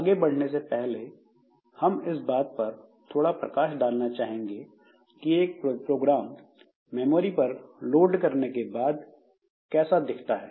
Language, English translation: Hindi, So, before proceeding further, so we would like to highlight like what you, how the program will look like when it is loaded into the main memory